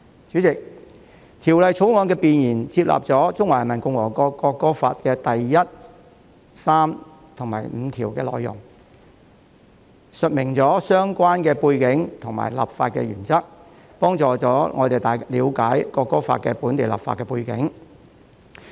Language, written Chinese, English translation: Cantonese, 主席，《國歌條例草案》的弁言納入了《國歌法》第一、三及五條的內容，述明相關背景及立法原則，以助大家了解就《國歌法》進行本地立法的背景。, Chairman the Preamble of the National Anthem Bill the Bill sets out the relevant background and legislative principles by adapting Articles 1 3 and 5 of the National Anthem Law to provide a context for people to understand the background of enacting local legislation in respect of the National Anthem Law